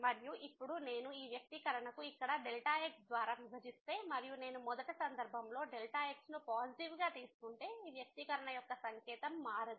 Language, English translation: Telugu, And, now if I divide this expression here by and if I in the first case I take as positive, then the sign of this expression will not change